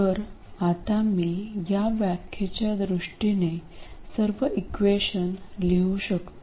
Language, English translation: Marathi, So, now I can write my equations in terms of these definitions